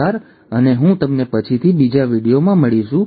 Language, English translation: Gujarati, Thank you and I will see you later in another video